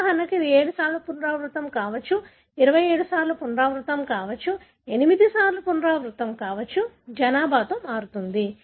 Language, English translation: Telugu, So, for example, it could be 7 times repeated, 27 times repeated, 8 times repeated, varies in the population